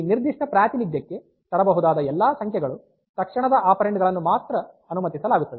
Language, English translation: Kannada, So, all those numbers that can be feted into this particular representation, they will be allowed as immediate operand others are not